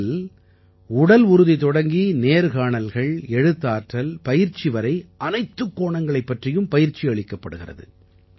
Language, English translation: Tamil, The training touches upon all the aspects from physical fitness to interviews and writing to training